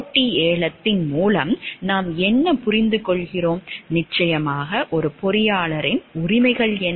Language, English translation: Tamil, What do we understand by a competitive bidding and of course, what are the rights of an engineer